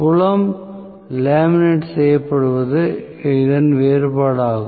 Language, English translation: Tamil, The difference is the field being laminated